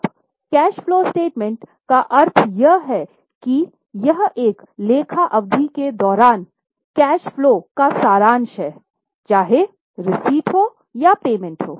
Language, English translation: Hindi, Now, the meaning of cash flow statement is it is a summary of cash flows both receipts as well as payments during an accounting period